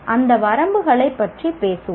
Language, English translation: Tamil, We'll talk about those limitations